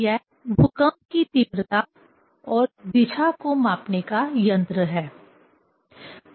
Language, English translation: Hindi, It is an instrument to measure intensity and direction of earthquake